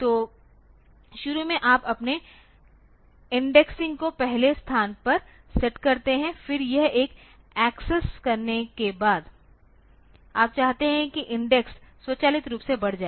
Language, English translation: Hindi, So, initially you set your index here the first location then after this one has been access so, you want that the index should automatically increase